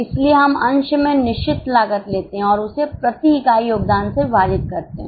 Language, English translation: Hindi, So, we take fixed costs in the numerator and divide it by contribution per unit